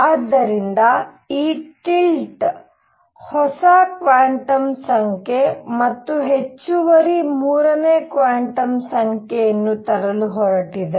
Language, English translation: Kannada, So, these tilt is going to bring in a new quantum number, and additional third quantum number